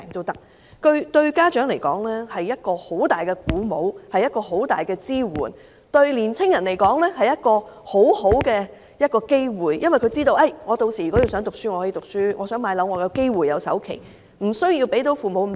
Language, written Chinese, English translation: Cantonese, 對家長來說，這是很大的鼓舞和支援；對年青人來說，則是很好的機會，因為他們知道，屆時想唸書便唸書，想置業亦能夠繳付首期，父母無須負擔那麼大。, While it would offer much encouragement and support to parents it would also provide a valuable opportunity for youngsters since they know that by then they can continue their studies if they so wish or they will be able to afford the down payment if they wish to buy a home rendering the burden on their parents less heavy